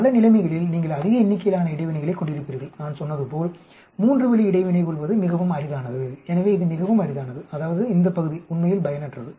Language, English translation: Tamil, You, in many situations you will end up having very large number of interactions and as I said it is very, very rare to have a three way interaction, so it is very rare that means this portion is actually useless